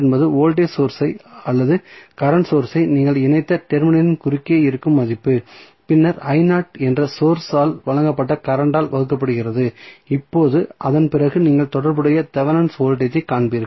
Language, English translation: Tamil, So, V naught is the value which is across the terminal where you have connected either the voltage source or current source and then divided by current supplied by the source that is I naught and now, after that you will find the corresponding Thevenin voltage